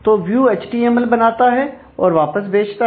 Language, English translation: Hindi, So, view prepares the HTML and sends it back to the controller